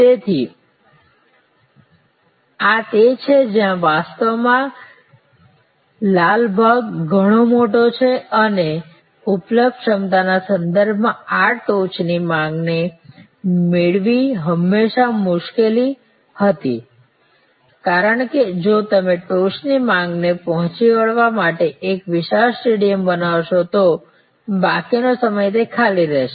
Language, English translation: Gujarati, So, this is where actually the red part is much bigger and it was always difficult to match this peak demand with respect to capacity available, because if you created a huge stadium to meet that peak demand, rest of the time it will be lying vacant